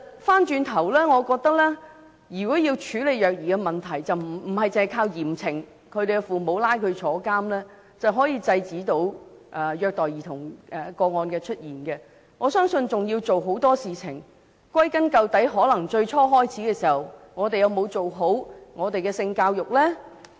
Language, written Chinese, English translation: Cantonese, 反過來說，我認為如果要處理虐兒的問題，不是只靠嚴懲父母，把他們送到監獄便可制止虐待兒童個案的出現，我相信還要做很多事情，而歸根究底，可能在最初開始時，我們有否有效推行性教育呢？, Conversely in order to address the problem of child abuse we should not think that we can stop child abuse cases simply by punishing the parents heavily and putting them behind bars . I believe there is a lot more to do . In the final analysis perhaps it has to do with whether sex education was implemented effectively at an early stage